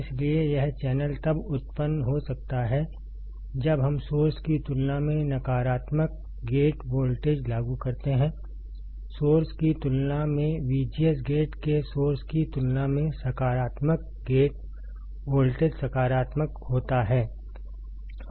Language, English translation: Hindi, So, this channel can be generated when we apply a negative gate voltage compared to the source, positive gate voltage compared to source of V G S gate is positive compared to source